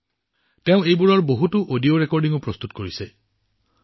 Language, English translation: Assamese, He has also prepared many audio recordings related to them